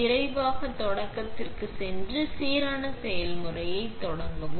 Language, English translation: Tamil, Go to quick start and start a random process